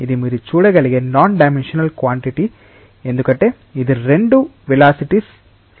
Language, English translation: Telugu, This is a non dimensional quantity that you can see because it is the ratio of two velocities